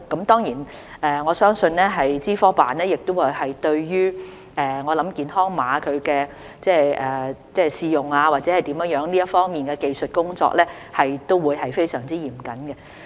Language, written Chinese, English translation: Cantonese, 當然，我相信資科辦對於健康碼的試用或者其他方面的技術工作也會非常嚴謹。, Certainly I believe that OGCIO will be very strict in the trial use of the health code or other technical work